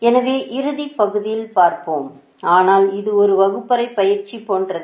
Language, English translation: Tamil, so we will see at the end, right, so, ah, but for this it is like a classroom exercise